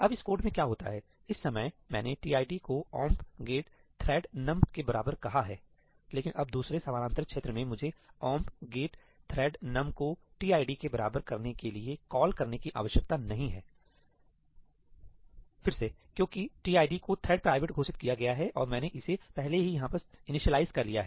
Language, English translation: Hindi, Now, what happens in this code is that at this point of time, I called tid equal to ëomp get thread numí, but now in the second parallel region, I do not need to make a call to tid equal to ëomp get thread numí again because tid is declared to be thread private and I have already initialized it over here